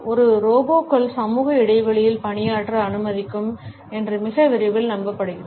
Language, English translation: Tamil, And very soon it is hoped that it would allow a robots to serve in social spaces